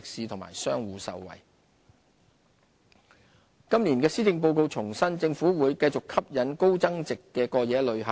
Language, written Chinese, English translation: Cantonese, 提升吸引力今年的施政報告重申，政府會繼續吸引高增值的過夜旅客。, It was reiterated in this years Policy Address that the Government would continue to attract more high - yield overnight visitors